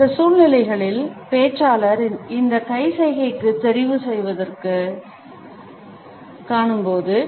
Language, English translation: Tamil, In those situations when we find that the speaker has opted for this hand gesture